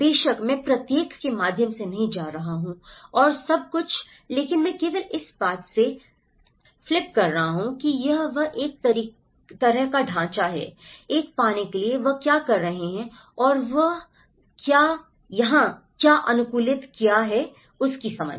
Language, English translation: Hindi, Of course, I am not going through each and everything but I am just flipping through that this is a kind of framework to set up, to get an understanding of what they have continued and what they have adapted here